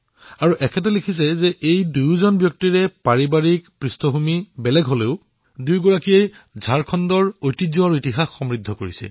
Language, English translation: Assamese, He further states that despite both personalities hailing from diverse family backgrounds, they enriched the legacy and the history of Jharkhand